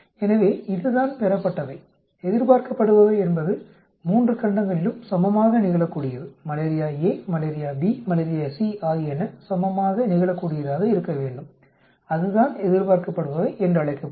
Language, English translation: Tamil, So this is the observed, expected is equally probable in all the 3 continents Malaria A, Malaria B, Malaria C should be equally probable that will be what is called expected